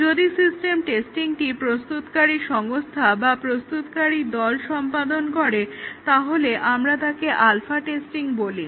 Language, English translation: Bengali, If the system testing is done by the developing organization itself, the development team or the developing organization, we call it as the alpha testing